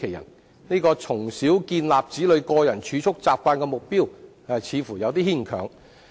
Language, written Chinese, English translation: Cantonese, 因此，這項"從小建立子女個人儲蓄習慣"的目標似乎略嫌牽強。, For this reason the objective of enabling children to develop the habit of keeping personal savings at a tender age seems a bit far - fetched